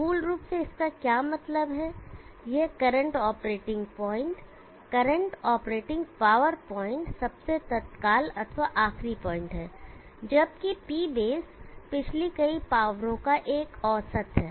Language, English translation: Hindi, And I will name it as P current, what it basically means that this is the current operating point, current operating power point the most immediate one and P base is a kind of an average the previous powers